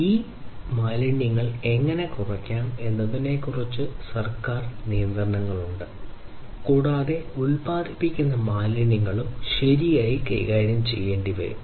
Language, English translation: Malayalam, So, there are government regulations, which talk about how to reduce these wastes and also the wastes that are produced will have to be handled properly